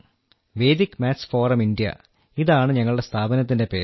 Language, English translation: Malayalam, The name of our organization is Vedic Maths Forum India